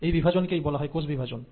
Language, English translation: Bengali, Now this division is what you call as the cell division